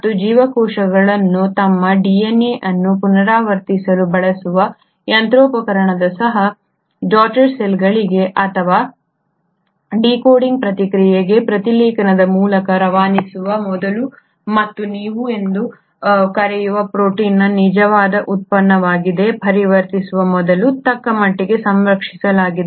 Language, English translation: Kannada, Even the machinery which is used by these cells to replicate their DNA before they can pass it on to the daughter cells or the decoding process by transcription and its conversion into the actual product of protein which is what you call as translation is fairly conserved right from bacteria to humans